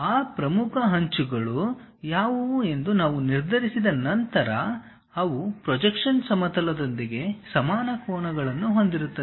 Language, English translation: Kannada, We once we decide what are those principal edges, they should make equal angles with the plane of projection